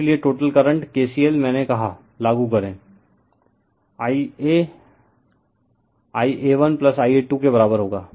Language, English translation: Hindi, Therefore, total current the K C L I told you apply , I a will be equal to I a 1 plus I a 2